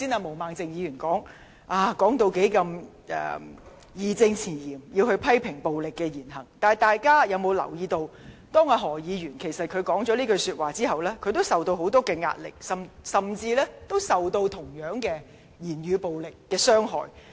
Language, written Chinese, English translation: Cantonese, 毛孟靜議員剛才在發言期間義正詞嚴地表示要批評暴力言行，但大家有否留意，當何議員作出有關言論後，他也受到很大壓力，甚至遭受同樣的語言暴力傷害呢？, A moment ago Ms Claudia MO said with a strong sense of righteousness in her speech that she must criticize words and acts of violence . However do Members notice that after uttering the relevant words Dr HO has likewise faced immense pressure and has even been victimized by the same kind of verbal violence?